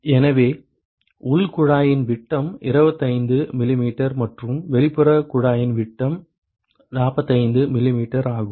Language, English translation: Tamil, So, the diameter of the inner tube is 25 mm and the diameter of the outer tube is 45 mm